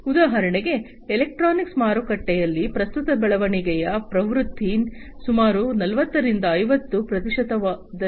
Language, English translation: Kannada, So, for example for electronics market, the current growth trend is about 40 to 50 percent